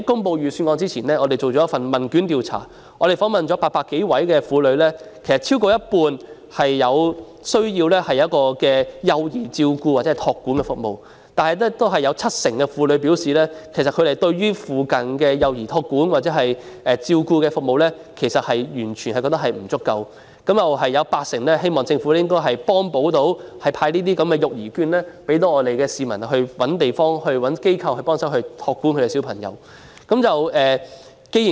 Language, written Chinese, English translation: Cantonese, 在預算案公布前，我們曾進行問卷調查，訪問了800多名婦女，超過半數婦女表示需要幼兒照顧或託管服務，但有七成婦女表示，附近的幼兒託管或照顧服務完全不足；也有八成婦女希望政府能夠派發育兒券，方便市民尋找地方或機構託管小孩。, Before the Budget was announced we conducted a questionnaire survey and interviewed more than 800 women . More than half of the women said they needed childcare services while 70 % of the women said that childcare or care services in the neighbourhood were totally inadequate . 80 % of the women hoped that the Government could provide childcare vouchers to facilitate the public in finding childcare places or institutions